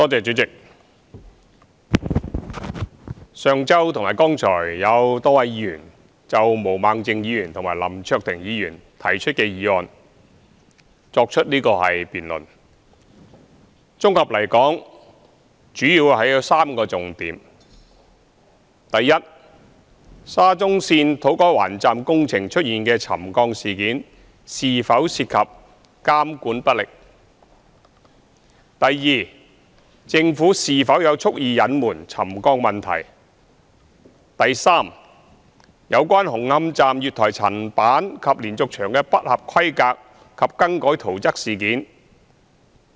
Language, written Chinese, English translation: Cantonese, 代理主席，上周和剛才有多位議員就毛孟靜議員和林卓廷議員提出的議案進行辯論，綜合來說主要有3個重點：一沙中線土瓜灣站工程出現沉降事件是否涉及監管不力；二政府是否有蓄意隱瞞沉降問題；及三有關紅磡站月台層板及連續牆不合規格及更改圖則事件。, Deputy President a number of Members debated the motions moved by Mr LAM Cheuk - ting and Ms Claudia MO last week and just now . In general there are three main issues 1 whether the incident of land subsidence of buildings near the construction site of To Kwa Wan station of the Shatin to Central Link SCL involved ineffective monitoring; 2 whether the Government had deliberately concealed the land subsidence problem; and 3 the substandard works and alterations to the construction drawings of the platform slabs and diaphragm walls of the Hung Hom Station Extension